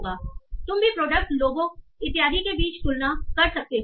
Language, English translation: Hindi, You can also do some sort of comparisons between products, people and so on